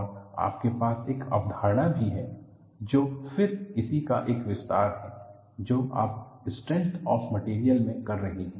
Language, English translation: Hindi, And you also have a concept, which is again an extension of what you have been doing it in strength of materials